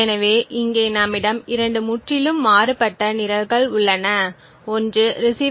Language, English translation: Tamil, So over here we have 2 completely different programs one is known as the receiver